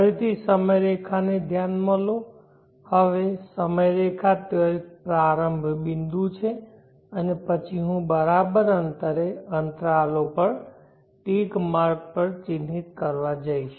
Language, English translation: Gujarati, Consider the timeline once again, now timeline there is a start point and then I am going to mark ticks at equal spaced intervals